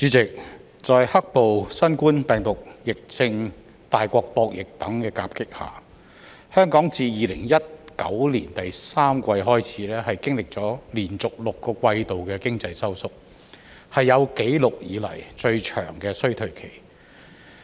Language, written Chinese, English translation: Cantonese, 主席，在"黑暴"、新冠病毒疫症、大國博弈等因素夾擊下，香港自2019年第三季開始，經歷了連續6個季度的經濟收縮，是有紀錄以來最長的衰退期。, President having been hit by factors such as riots the coronavirus disease and conflicts between super powers Hong Kong has suffered economic contraction for six consecutive quarters since the third quarter of 2019 making it the longest recession on record